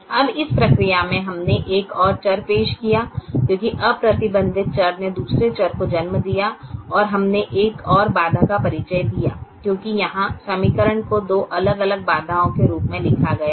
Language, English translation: Hindi, now in the process we introduced one more variable because the unrestricted variable gave rise to another variable and we introduced one more constraint because the equation here was written as two different constraints